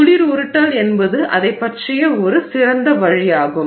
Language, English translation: Tamil, Cold rolling is a good way of going about it